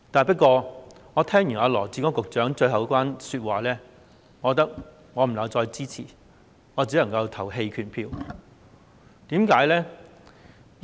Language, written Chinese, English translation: Cantonese, 不過，我聽完羅致光局長最後一番說話後，覺得不能夠支持，只能投棄權票。, That said having listened to the concluding remarks of Secretary Dr LAW Chi - kwong I realize that I cannot render support . I can only abstain from voting